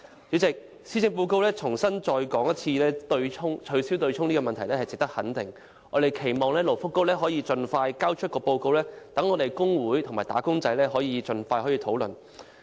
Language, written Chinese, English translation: Cantonese, 主席，施政報告再次提出"取消對沖"的問題值得肯定，我們期望勞工及福利局可以盡快提交報告，讓工會和"打工仔"盡快展開討論。, President the proposal made in the Policy Address again to abolish the offsetting mechanism merits our support . We hope the Labour and Welfare Bureau can submit a report expeditiously so that labour unions and wage earners can begin discussions as early as possible